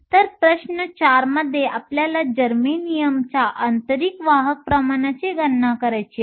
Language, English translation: Marathi, So, problem 4 we want to calculate the intrinsic carrier concentration of germanium